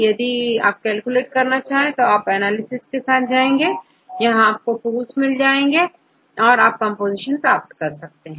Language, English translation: Hindi, So, if you want to get it to calculate, go with this analysis, if you see a list of tools available, and here you can see the tool which can calculate the composition